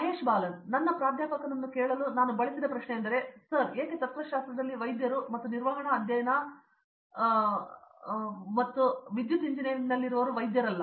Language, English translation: Kannada, One question I used to ask my professor often is sir why is it a doctor in philosophy and not doctor in management studies or electrical engineering